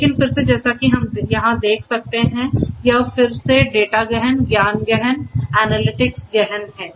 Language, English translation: Hindi, But again as we can see over here this is again data intensive, knowledge intensive, analytics intensive, and so on